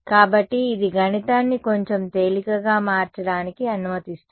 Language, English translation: Telugu, So, this just allows the math to become a little bit easier, we are ok